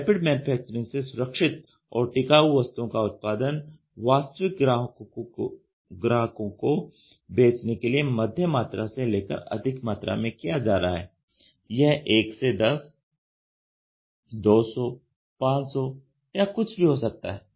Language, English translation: Hindi, So, Rapid Manufacturing is creating durable and safe products for sale to real customers in moderate, this moderate can be 1 to 10, 200, 500 whatever it is in moderate to large quantities ok